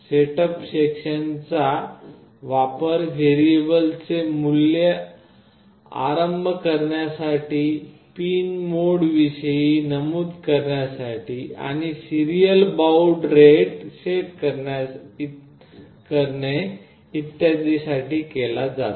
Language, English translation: Marathi, The setup section is widely used to initialize the variables, mention about the pin modes and set the serial baud rate etc